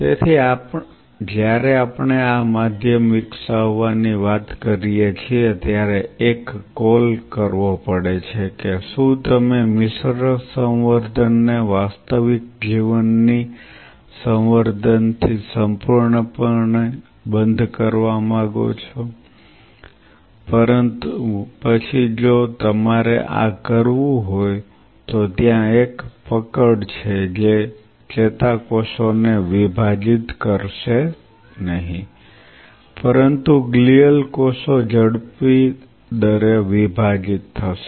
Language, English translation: Gujarati, So, when we talk about developing this medium one has to make a call that do you want a mixed culture really absolutely close in to real life culture, but then if you have to do this there is one catch is this that neurons may not divide, but the glial cells will divide at a faster rate